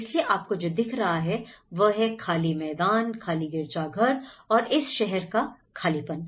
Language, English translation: Hindi, Today, what you see is an empty plazas and empty cathedrals, so all together an empty one